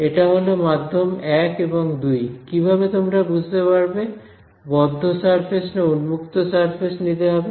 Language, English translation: Bengali, So, this is a medium 1 and 2, the hint for whether you take a open surface or a closed surface how would you get that hint